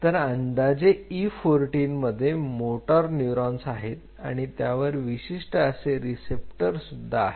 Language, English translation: Marathi, So, at around E 14 there are motor neurons most of the motor neuron expresses are very unique receptors